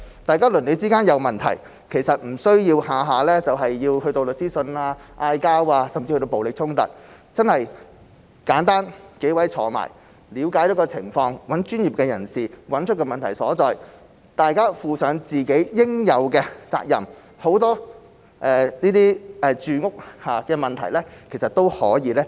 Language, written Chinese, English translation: Cantonese, 大家鄰里之間有問題，其實不需要每次都去到出律師信、吵架，甚至暴力衝突，大家簡單坐下來了解情況，找專業人士找出問題所在，大家負上自己應有的責任，很多這些住屋相關問題，其實都是可以解決的。, When there are problems between neighbours there is no need to go so far as to issue a lawyers letter or engage in quarrels or even violent confrontations . Should people simply sit down to examine the situation hire professionals to find out where the problem lies and shoulder their fair share of responsibility many of these housing - related problems can actually be solved